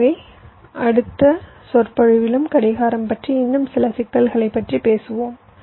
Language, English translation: Tamil, so we shall be talking about some more issues about clocking in the next lecture as well